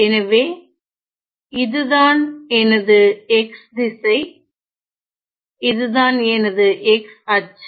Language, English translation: Tamil, So, this is my x direction